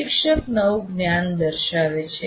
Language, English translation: Gujarati, The instructor is demonstrating the new knowledge